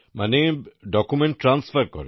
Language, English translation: Bengali, That means you transfer the documents